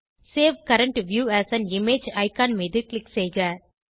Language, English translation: Tamil, Click on the Save current view as an image icon